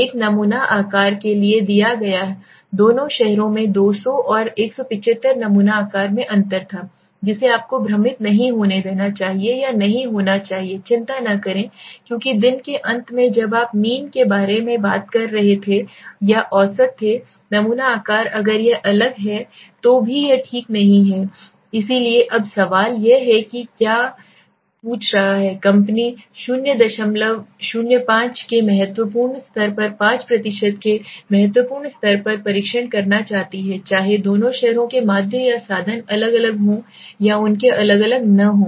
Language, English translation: Hindi, The N the sample size taken for both the cities was 200 and 175 a difference in sample size you should not be confused or should not be worry because at the end of the day when you were talking about mean or averages the sample size if it is different also it does not matter okay, so now the question is what is he asking the company wants to test at 5 percent level of significant right at 0